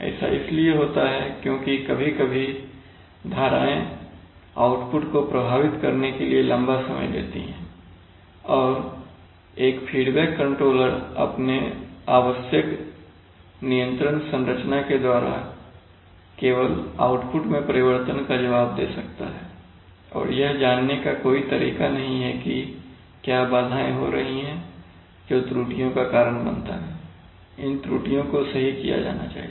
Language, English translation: Hindi, So that happens because sometimes the disturbance takes long time to affect the output and a feedback controller by its essential control configuration can respond only to changes in output and has no way of knowing what disturbances are occurring, that causes errors to be, that is errors must be formed to be corrected